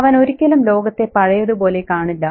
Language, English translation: Malayalam, He will never see the world the same anymore